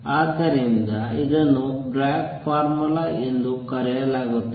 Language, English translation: Kannada, So, this is known as Bragg formula